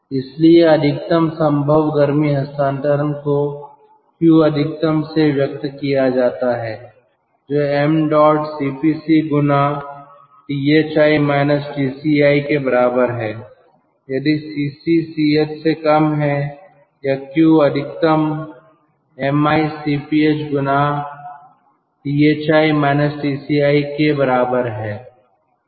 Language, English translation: Hindi, therefore, the maximum possible heat transfer is expressed as q max is equal to m dot cp c, that is, thi minus tci, if cc is less than ch, or q max is equal to m dot cp h multiplied by thi minus tci